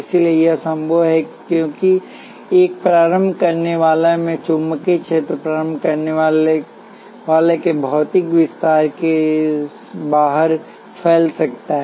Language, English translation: Hindi, So, this is possible because the magnetic field in an inductor can spread outside the physical extend of the inductor